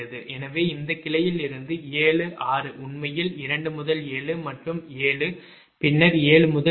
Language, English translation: Tamil, six is actually two to seven, six is two to seven, then seven to eight